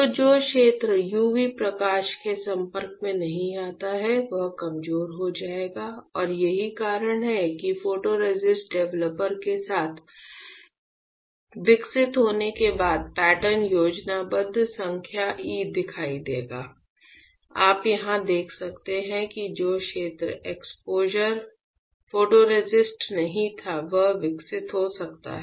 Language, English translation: Hindi, So, area which is not exposed with UV light will get weaker and that is why after developing with photo photoresist developer the pattern would look like schematic number e right; the you can see here the area which was not exposure photoresist can got developed